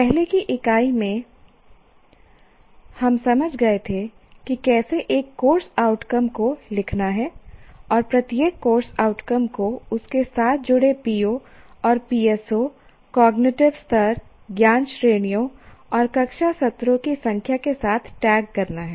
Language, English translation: Hindi, In the earlier unit, we understood how to write outcomes of a course and tagging each course outcome with the addressed POs and PSOs, cognitive level, knowledge categories, and the number of classroom sessions